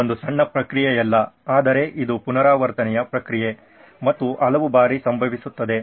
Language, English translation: Kannada, It is not a one short process but it is an iterative process and happens many times over